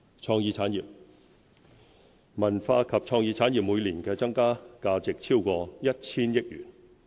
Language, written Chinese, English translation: Cantonese, 創意產業文化及創意產業每年的增加價值超過 1,000 億元。, Cultural and creative industries contribute value added of over 100 billion year - on - year